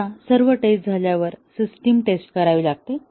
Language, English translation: Marathi, Now, once all the tests have been done, the system tests